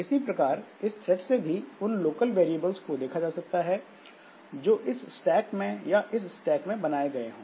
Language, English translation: Hindi, Similarly, this thread can see the local variables that is that are created in the stack or local variables that are created in this stack